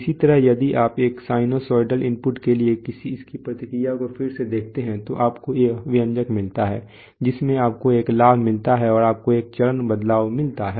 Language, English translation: Hindi, Similarly if you see its response to a sinusoidal input again you will find that this is, these are the expressions so you get a gain and you get a phase shift